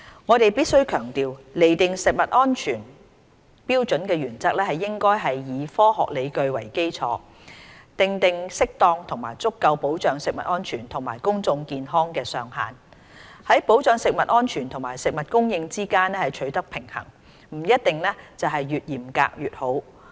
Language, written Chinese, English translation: Cantonese, 我們必須強調，釐定食物安全標準的原則，應該以科學理據為基礎，訂定適當及足夠保障食物安全及公眾健康的上限，在保障食物安全和食物供應之間取得平衡，不一定是越嚴格越好。, We must stress that the principle of determining food safety standards should be founded on scientific evidence so as to establish appropriate maximum levels that are sufficient for securing food safety and public health while striking a balance between safeguarding food safety and food supply . Greater stringency may not necessarily be better